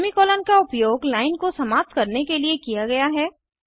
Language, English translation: Hindi, semi colon is used to terminate a line